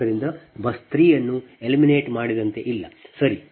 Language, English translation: Kannada, so buss three is not there, it is eliminated, right